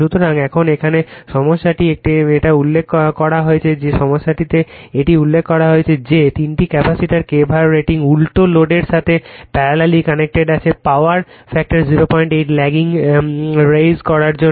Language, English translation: Bengali, So, now, , in the here in the problem it is mentioned , that in the , problem it is mentioned that that you are the kVAr rating of the three capacitors delta connected in parallel the load to raise the power factor 0